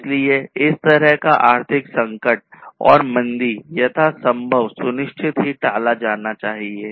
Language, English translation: Hindi, So, it is very important to ensure and avoid this kind of crisis and recession as much as possible